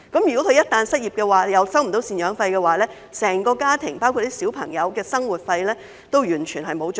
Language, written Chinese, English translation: Cantonese, 如果她們一旦失業，同時未能收取贍養費，整個家庭，包括小孩的生活費也完全沒有着落。, If they lose their jobs and fail to receive maintenance payments their whole families including their children will be left with no money to live on